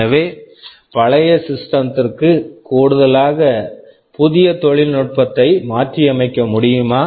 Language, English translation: Tamil, So, is it possible for the older system to adapt to this new technology